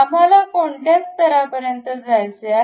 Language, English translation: Marathi, Up to which level we would like to have